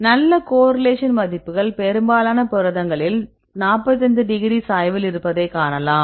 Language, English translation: Tamil, So, you can see the good correlation because you can see most of the proteins right the values are on the 45 degree slope